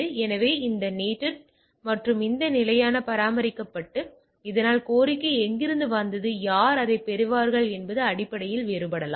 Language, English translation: Tamil, So, it is NATed and this stable is maintained and so that it can basically this differ where from the request came and who will get the thing